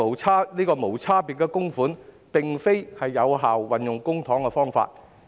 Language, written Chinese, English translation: Cantonese, 此外，無差別供款並非有效運用公帑的方法。, Moreover making contributions to everyone is not an effective way to use public funds